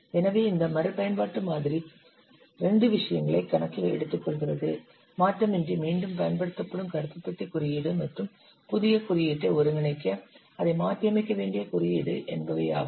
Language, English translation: Tamil, So this reuse model takes into account two things, the black bus code that is reused without change and the code that has to be adapted to integrate it with the new code